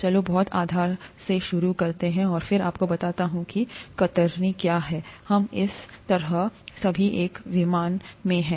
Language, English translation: Hindi, Let’s start from the very basis, and then I’ll tell you what shear is, that way we are all in the same plane